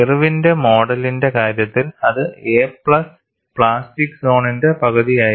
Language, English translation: Malayalam, In the case of Irwin’s model, it was a plus 1 half of plastic zone; that is what we had looked at